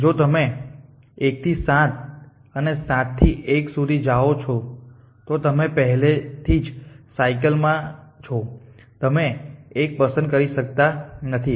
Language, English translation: Gujarati, If you go for 1 to 7 and from 7 to 1 in you already in cycles so you cannot choose 1